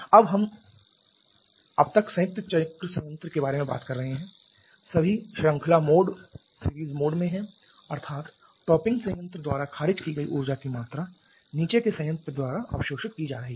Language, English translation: Hindi, Now we are so far talking about the combined cycle plant all are in series mode that is the amount of energy rejected by the topping plant is being absorbed by the bottoming plant